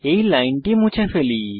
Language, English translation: Bengali, Let us remove this line